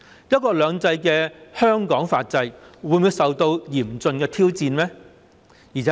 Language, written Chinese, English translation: Cantonese, "一國兩制"下的香港法制會否受到嚴峻挑戰呢？, Will the legal system of Hong Kong under one country two systems be seriously challenged?